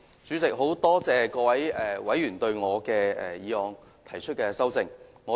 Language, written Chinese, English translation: Cantonese, 主席，很多謝各位議員對我的議案提出修正案。, President I am very grateful to all the Members who have proposed amendments to my motion